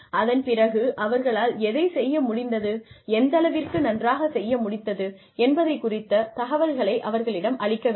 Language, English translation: Tamil, So, you give them information about, what they have been able to do, and how well they have been able to do it